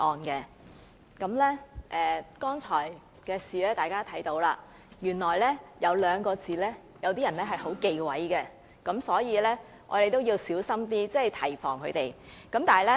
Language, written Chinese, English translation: Cantonese, 大家看到剛才發生的事情了，原來有些人很忌諱某兩個字，所以，我們要小心一點提防他們。, Honourable colleagues have all seen what happened just now . Indeed a certain word has become a taboo to some people so we need to be wary about them